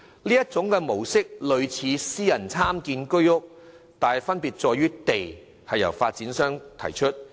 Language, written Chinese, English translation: Cantonese, 這種模式類似私人參建居屋，但分別之處在於土地由發展商提供。, This development mode is similar to the Private Sector Participation Scheme but the difference is that the land for development is provided by private developers